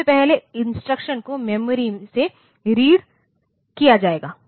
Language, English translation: Hindi, First, the instruction will be read from the memory